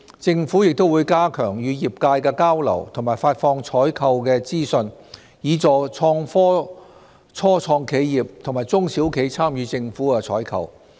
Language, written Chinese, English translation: Cantonese, 政府亦會加強與業界的交流和發放採購資訊，以協助創科初創企業和中小企參與政府採購。, The Government will also enhance exchanges with the sector and dissemination of procurement information to assist start - ups and SMEs engaged in IT in participating in government procurement